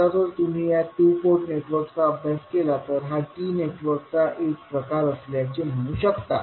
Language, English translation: Marathi, Now, if you compare this particular two port network, you can say it is a form of T network